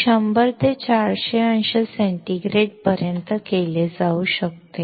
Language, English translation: Marathi, This can be done from 100 to 400 degree centigrade